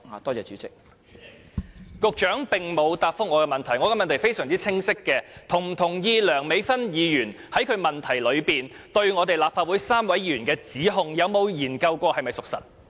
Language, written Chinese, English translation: Cantonese, 代理主席，局長並無答覆我的補充質詢，我的問題相當清晰，他是否同意梁美芬議員在其主體質詢中對於立法會3位議員的指控，他有否研究過是否屬實？, Deputy President the Secretary has not answered my supplementary question . My question is very clear . Does he agree to the allegation against the three Legislative Council Members in Dr Priscilla LEUNGs main question and has he looked into the matter to see whether it is true?